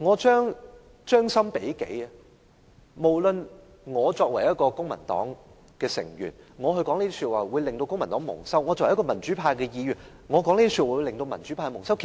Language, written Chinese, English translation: Cantonese, 將心比己，我作為公民黨的成員，如說出這些話將令公民黨蒙羞；作為民主派的議員，這些話亦會令民主派蒙羞。, Let us try to put ourselves into other shoes . As a member of the Civic Party and a pro - democracy Member I will bring disgrace to both the Civic Party and the pro - democracy camp if I make such remarks